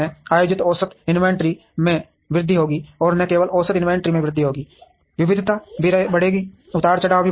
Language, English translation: Hindi, The average inventory held will increase, and not only would the average inventory increase the variation would also increase, fluctuations will also increase